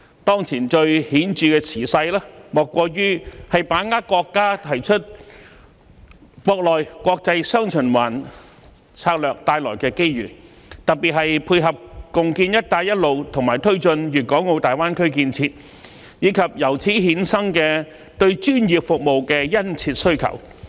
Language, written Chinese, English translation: Cantonese, 當前最顯著的時勢，莫過於把握國家提出國內、國際"雙循環"策略帶來的機遇，特別是配合共建"一帶一路"和推進粵港澳大灣區建設，以及由此衍生的對專業服務的殷切需求。, And the most prevailing circumstance now is the need to seize the opportunities brought by the domestic and international dual circulation strategy put forward by the country in particular to complement the joint development of the Belt and Road Initiative and the Guangdong - Hong Kong - Macao Greater Bay Area as well as the acute demand for professional services to be generated therein